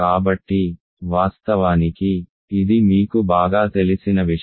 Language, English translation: Telugu, So, of course, this is something that you are familiar with right